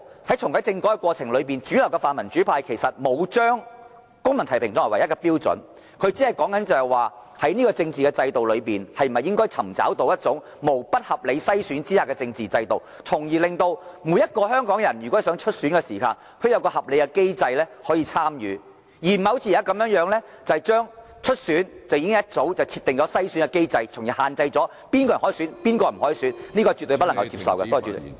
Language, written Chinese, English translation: Cantonese, 在這個過程裏，主流的泛民主派其實並沒有把公民提名視為唯一的標準，而只是提出在這個政治制度下，應否尋求一種無不合理篩選的機制，令每個香港人在希望參選時可循合理機制參與其中，而不是好像現時這般，早已設定篩選機制，限制了哪些人可以或不可以參選......, In this process it is in fact not the intention of the mainstream pan - democrats to take civil nomination as the sole criterion . We only consider it worth exploring whether a mechanism without any form of unreasonable screening can be put in place under our political system so that everyone in Hong Kong who wish to participate in the election may do so in accordance with a reasonable mechanism